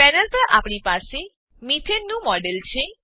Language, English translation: Gujarati, We have a model of methane on the panel